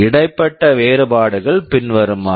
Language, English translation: Tamil, The differences are as follows